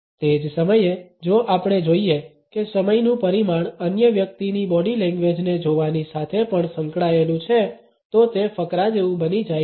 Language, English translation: Gujarati, At the same time, if we find that the dimension of time is also associated with our looking at the other person’s body language it becomes like a paragraph